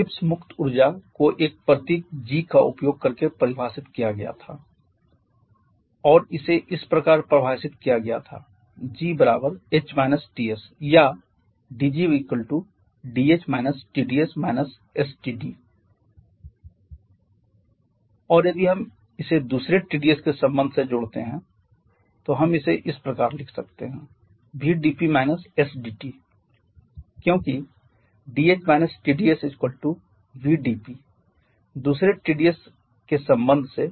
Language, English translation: Hindi, The expression Gibbs free energy was defined using a symbol g and it was defined as g equal to h minus Ts or dg is equal to dh minus Tds minus sdT and if we combine this one with the other Tds relation